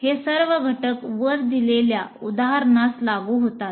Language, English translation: Marathi, All these elements apply to the example that I have given